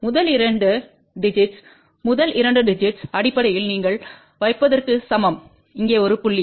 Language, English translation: Tamil, The first two digits the first two digits basically are equivalent to you put a point before here